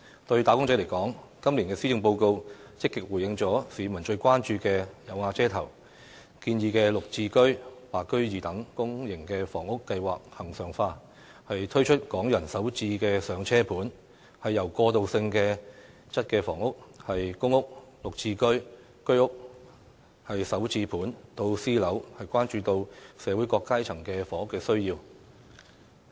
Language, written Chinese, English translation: Cantonese, 對"打工仔"來說，今年的施政報告積極回應了市民最關注的"有瓦遮頭"，建議"綠置居"、"白居二"等公營房屋計劃恆常化，推出"港人首置上車盤"，由過渡性質房屋、公屋、"綠置居"、居屋、"首置盤"到私樓，關顧到社會各階層的住屋需要。, As far as wage earners are concerned the Policy Address actively responds to peoples demand for a roof over their heads which is their prime concern by proposing the regularization of such public housing schemes as the Green Form Subsidised Home Ownership Scheme GSH and the Interim Scheme of Extending the Home Ownership Scheme HOS Secondary Market to White Form Buyers as well as the introduction of Starter Homes for Hong Kong residents . Covering transitional housing public rental housing GSH HOS Starter Homes and private housing the Policy Address attends to the housing needs of people from all social strata